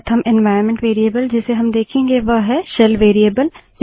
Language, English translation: Hindi, The first environment variable that we would see is the SHELL variable